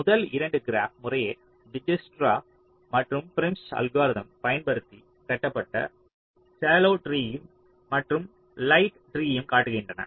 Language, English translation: Tamil, they show the shallow tree and the light tree, constructed using dijkstras and prims algorithm respectively